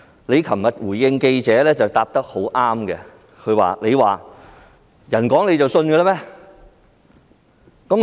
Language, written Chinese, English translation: Cantonese, 你昨天回應記者時答得很好，你說："人講你就信嗎？, Yesterday your reply to the reporters was brilliant . You said Do you believe just because others say so?